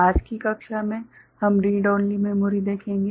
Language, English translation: Hindi, In today’s class, we shall look at Read Only Memory ok